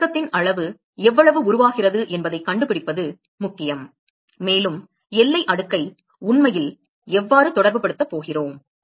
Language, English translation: Tamil, So, therefore, it is important to find out, what is the amount of condensate that is formed and that is how we are actually going to relate the boundary layer